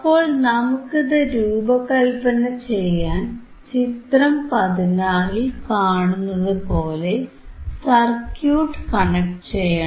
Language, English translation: Malayalam, I have to first connect this circuit as shown in figure 16 as shown in figure 16